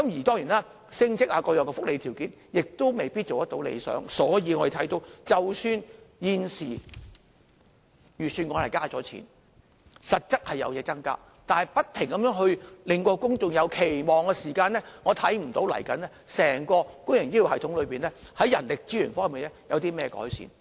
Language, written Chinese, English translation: Cantonese, 當然，升職等各樣福利條件也未必達到理想，所以我們可以看到，即使現時預算案增加撥款，實質有所增加，但不停加強公眾的期望，我看不到未來整個公營醫療系統在人力資源方面有任何改善。, Besides the promotion prospects and other welfare benefits may not be so attractive . Therefore even though there is a real increase in the funding provision in the Budget this year with the Government continuing to raise public expectation I do not expect to see any improvement in the human resources of the entire public health care system in the future